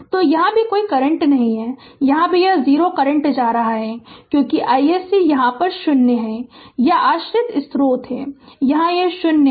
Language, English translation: Hindi, So, no current is here also here also it is going 0 current because i s c here it is 0 it is dependent source here it is 0